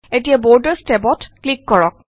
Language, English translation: Assamese, Now click on the Borders tab